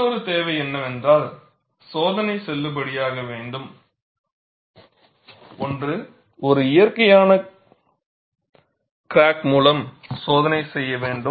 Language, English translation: Tamil, And another requirement is, for the test to be valid, one should do the test, with a natural crack